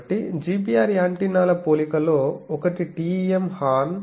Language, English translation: Telugu, So, there are comparison of GPR antennas one is TEM horn